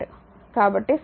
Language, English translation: Telugu, So, equation 1